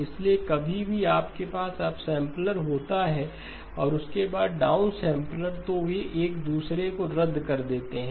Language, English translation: Hindi, So anytime you have a upsampler followed by downsampler they cancel each other